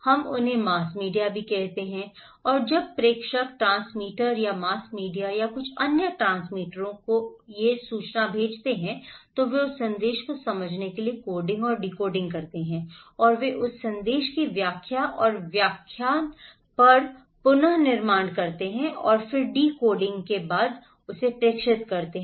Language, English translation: Hindi, We call them as mass media and when the sender send these informations to the transmitter or mass media or some other transmitters, they do coding and decoding in order to understand that message and they interpret and deconstruct and reconstruct that message and transmitter then after the decodifying the message from the original source